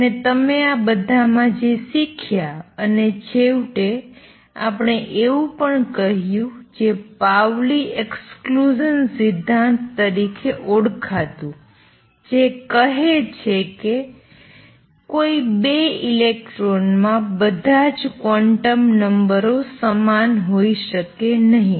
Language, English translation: Gujarati, And what you learned in the all this and finally, we also said something called the Pauli Exclusion Principle exist that says is that no 2 electrons can have all the quantum numbers the same